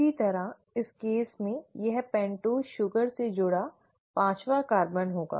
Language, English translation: Hindi, Similarly in this case this will be the fifth carbon attached to the pentose ring